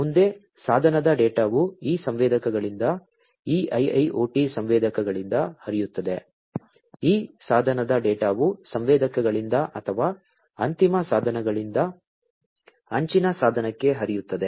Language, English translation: Kannada, Next, the device data will flow from these sensors these IIoT sensors, these device data are going to flow from the sensors or, the end devices to the edge device, right